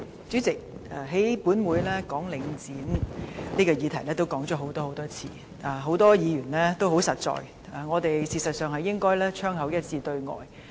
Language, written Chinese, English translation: Cantonese, 主席，本會已多次討論有關領展房地產投資信託基金的議題，很多議員說的也很實在，我們實應槍口一致對外。, President this Council has discussed topics relating to Link Real Estate Investment Trust Link REIT a number of times . It is true as many Members said that we should stand united on the same front . Now Link REIT has indeed broken the promises it made at the time of listing